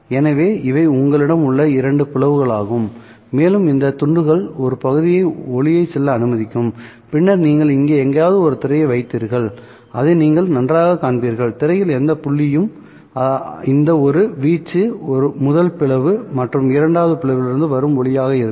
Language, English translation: Tamil, So these are the two slits that you had and these slits would allow partial light to go through and then you would put a screen somewhere far back here and you would see that well at any point on the screen the amplitude of this one would be the light that is coming from the first slit and the light that is coming from the second slit